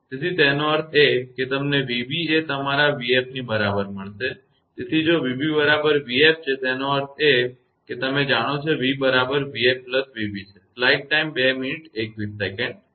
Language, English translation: Gujarati, So that means, you will get v b is equal to your v f; so, if v b is equal to v f; that means, that you know v is equal to v f plus v b